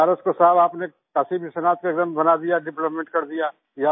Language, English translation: Hindi, Sir, you have made Banaras Kashi Vishwanath Station, developed it